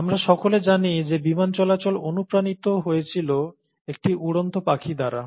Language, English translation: Bengali, And, all of us know that the airplanes were inspired by a bird flying